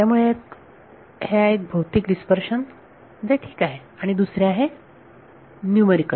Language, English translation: Marathi, So, one is physical dispersion which is ok, the other is numerical